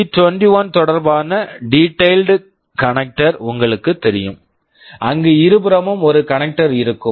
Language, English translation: Tamil, You will know p 21 with respect to the detailed connector where you see there will be one connector on either side